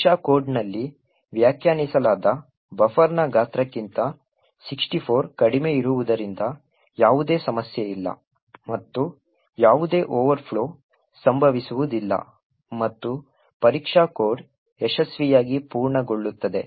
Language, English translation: Kannada, Since 64 is less than the size of the buffer defined in test code so there is no problem and there is no overflow that occurs, and test code completes successfully